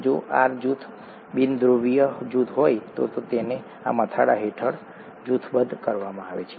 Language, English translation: Gujarati, If the R group happens to be a nonpolar group, then it is grouped under this head